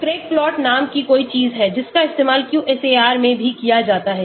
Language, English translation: Hindi, There is something called Craig plot which is also used in QSAR